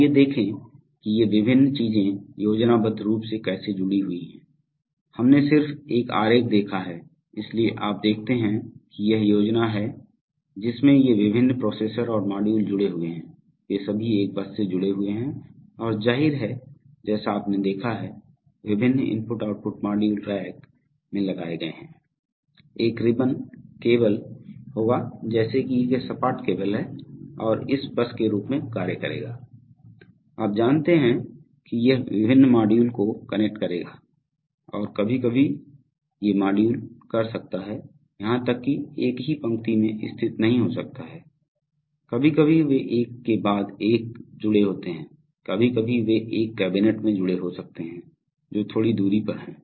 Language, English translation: Hindi, Let us see how these various things are schematically connected, we just saw a diagram, so you see that this is the scheme in which these various processors and the modules are connected they are all connected by a bus this is and obviously as you have seen that various I/O modules are mounted in racks, so there will be a, there will be a ribbon cable like thing that be a flat cable which will act as this bus, you know it will connect the various modules and sometimes these modules can even, may not be situated at the, on the same row, sometimes they will be connected one after the other, sometimes they may be connected in a cabinet which is a little distance away